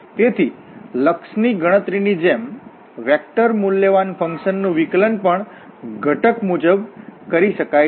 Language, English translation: Gujarati, So, similar to the limit evaluation, differentiation of vector valued function can also be done component wise